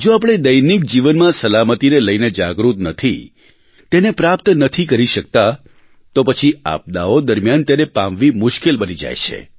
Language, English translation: Gujarati, If we are not aware of safety in daily life, if we are not able to attain a certain level, it will get extremely difficult during the time of disasters